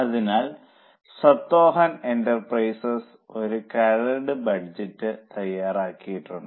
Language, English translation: Malayalam, So, Satyahan Enterprises has prepared a draft budget